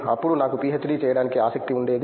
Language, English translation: Telugu, Then I was interested to do PhD